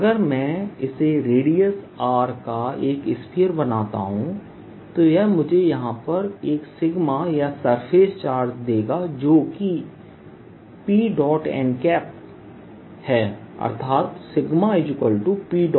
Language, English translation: Hindi, if i take this, make this sphere of radius r, it will give me a sigma or the surface charge here, which is p dot n